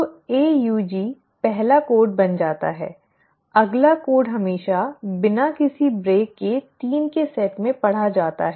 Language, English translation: Hindi, So AUG becomes the first code, the next code is always read without any break in sets of 3